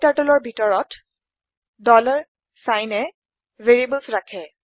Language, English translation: Assamese, In KTurtle, $ sign is a container of variables